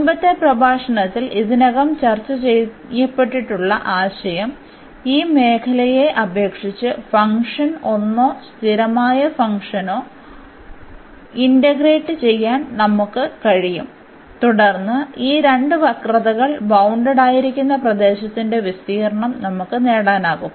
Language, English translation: Malayalam, And, the idea was which has already been discussed in the previous lecture, that we can simply integrate the function 1 or the constant function 1 over this region and then we can get the area of the region bounded by these two curves